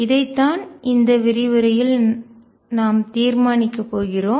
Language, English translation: Tamil, And this is what we are going to determine in this lecture